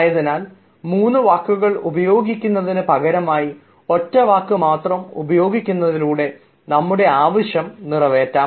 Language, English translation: Malayalam, so instead of using three words, let us use one word, and that also serves the purpose